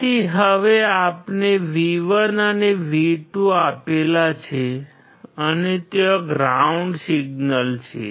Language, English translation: Gujarati, So, now we have applied V1 and V2 and there is a ground signal